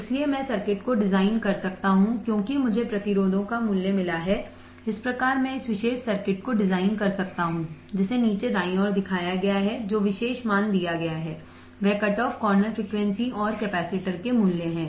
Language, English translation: Hindi, So, I can design the circuit as I found the value of the resistors thus I can design this particular circuit which is shown in the bottom right given the particular values which is the value of the cutoff corner frequency and the value of the capacitance